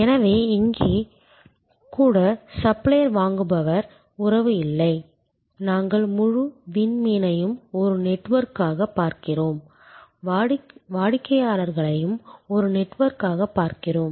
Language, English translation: Tamil, So, even here there is not a supplier buyer relationship, we are looking at the whole constellation as a network and we are looking at the customers also as a network